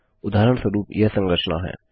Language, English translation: Hindi, For example this is the structure